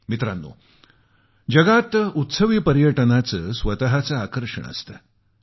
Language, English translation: Marathi, Friends, festival tourism has its own exciting attractions